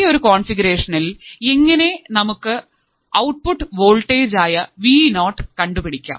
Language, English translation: Malayalam, In this particular configuration, how can I find my output voltage Vo